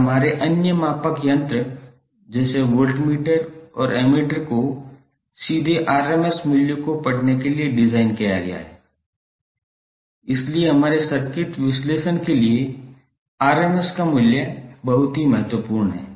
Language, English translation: Hindi, And our other measuring instruments like voltmeter and ammeter are designed to read the rms value directly, so that’s why the rms value is very important for our circuit analysis